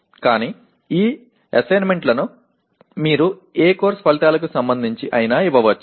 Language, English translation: Telugu, But these assignments can be given in anyone of these what do you call course outcomes, okay